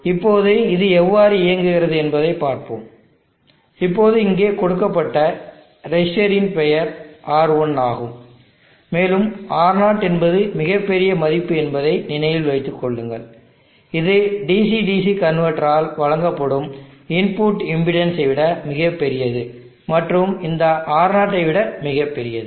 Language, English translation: Tamil, Now let us see how this operates, let us give this resistor a name and let us call that one as R1, and remember that R1 is a very large value this much, much larger than the input impedance that is presented by the DC DC converter and much larger than this R0